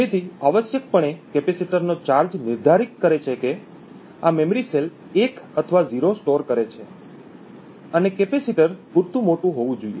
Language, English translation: Gujarati, So essentially the charge of the capacitor defines whether this memory cell is storing a 1 or a 0 and capacitor must be large enough